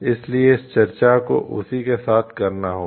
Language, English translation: Hindi, So, this field of discussion will be related to that